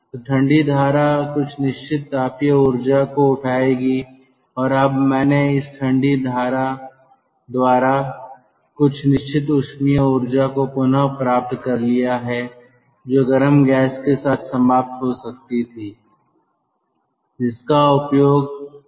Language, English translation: Hindi, when the cold stream passes through it it is already very hot, so the cold stream will pick up certain thermal energy and now i have recovered certain amount of thermal energy which could have gone as exhaust with this hot gas by this cold stream and that can be utilized